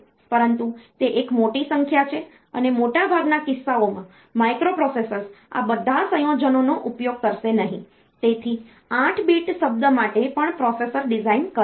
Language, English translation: Gujarati, But, that is a huge number and in most of the cases microprocessors will not use all these combinations, so, processor designs even for an 8 bit word